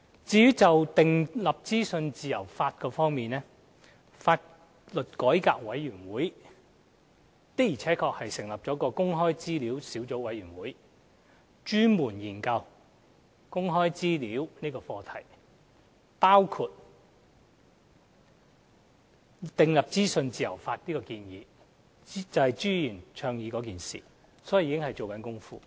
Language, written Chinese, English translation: Cantonese, 至於訂立資訊自由法方面，香港法律改革委員會的確成立了公開資料小組委員會，專門研究公開資料這課題，包括訂立資訊自由法的建議，這正是朱議員倡議的事情，所以有關工作已在進行。, With regard to enacting a law on freedom of information the Law Reform Commission of Hong Kong has already set up the Access to Information Subcommittee to specifically study the subject of access to information including the proposal of enacting a law on freedom of information . This is exactly what Mr CHU is advocating and therefore work in this regard has already commenced